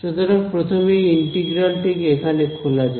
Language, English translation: Bengali, So, the first let us just open up this integral over here